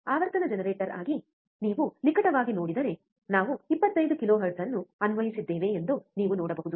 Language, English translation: Kannada, If you closely see as a frequency generator, you can see that we have applied 25 kilohertz, right